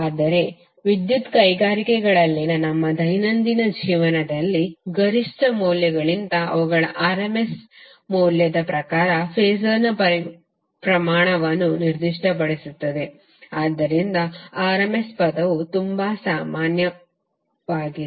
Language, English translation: Kannada, But in our day to day life the power industries is specified phasor magnitude in terms of their rms value rather than the peak values, so that’s why the rms term is very common